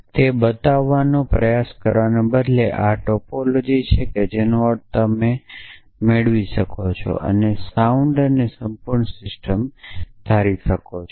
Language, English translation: Gujarati, Instead of trying to show that that this is the topology which means you can be derived and assuming a sound and complete system